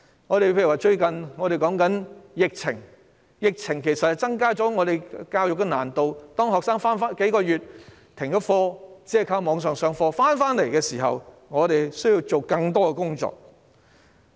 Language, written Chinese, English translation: Cantonese, 又例如最近的疫情增加了教育的難度，學生已停課數月，只靠網上授課，當他們回校復課時，我們需要做更多的工作。, Another case in point is the recent epidemic which has added to the difficulties of education . Students have stopped going to school for months and solely rely on online classes . We will have more work to do when they resume classes in school